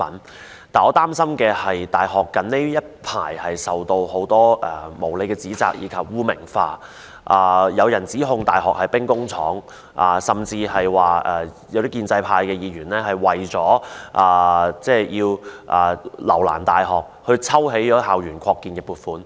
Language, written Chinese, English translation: Cantonese, 但是，我擔心的是，大學近日受到很多無理指責及被污名化，甚至有人指控大學是兵工廠，而建制派議員更為要留難大學而抽起校園擴建的撥款。, Nevertheless what I am worried about is that universities have recently been unfairly blamed and stigmatized and some people have even accused universities of being used as weapons factories . In order to make things difficult for universities some pro - establishment Members have withdrawn the funding proposal for campus expansion temporarily